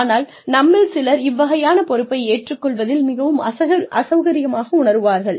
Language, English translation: Tamil, But, some of us, are not very comfortable, taking on that kind of responsibility